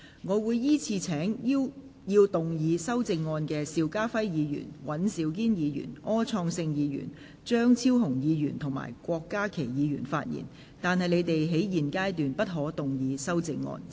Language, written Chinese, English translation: Cantonese, 我會依次請要動議修正案的邵家輝議員、尹兆堅議員、柯創盛議員、張超雄議員及郭家麒議員發言；但他們在現階段不可動議修正案。, I will call upon Members who will move the amendments to speak in the following order Mr SHIU Ka - fai Mr Andrew WAN Mr Wilson OR Dr Fernando CHEUNG and Dr KWOK Ka - ki; but they may not move the amendments at this stage